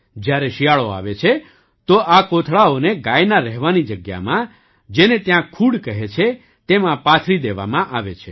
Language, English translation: Gujarati, When winter comes, these sacks are laid out in the sheds where the cows live, which is called khud here